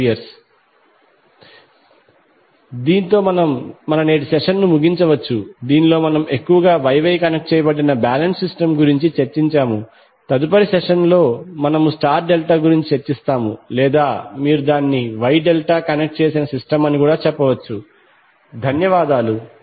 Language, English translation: Telugu, 2 degree, so with we can close our today’s session in which we discussed mostly about the Y Y connected balanced system, so in next session we will discuss about star delta or you can say Y delta connected system thank you